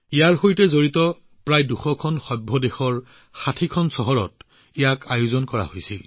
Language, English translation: Assamese, About 200 meetings related to this were organized in 60 cities across the country